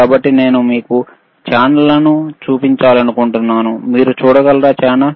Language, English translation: Telugu, So, I want to show you the channels here channels are there, can you can you see a show channel